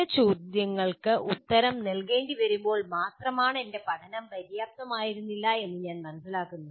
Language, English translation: Malayalam, And then I only realize when some questions need to be answered my learning was not adequate